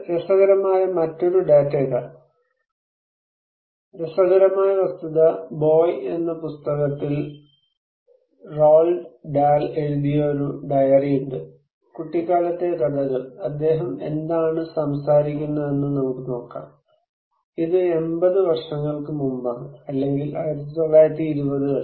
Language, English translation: Malayalam, Here is another interesting data, interesting fact, there is a diary written as by Roald Dahl on BOY, the tales of childhood, let us look what he is talking about, it is maybe 80 years before or in 1920’s okay